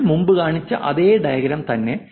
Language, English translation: Malayalam, And it's the same diagram that I showed you before